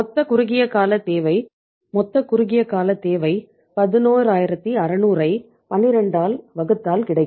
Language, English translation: Tamil, Total short term requirement is total short term requirement is 11600 divided by 12